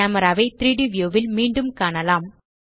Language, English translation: Tamil, The camera can be seen again in the 3D view